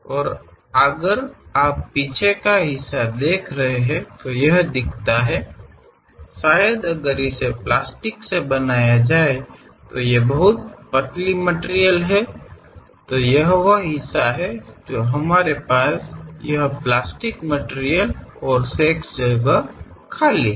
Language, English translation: Hindi, And if you are looking back side part, it looks like; perhaps if it is made with a plastic a very thin material, this is the part where we have this plastic material and the remaining place is empty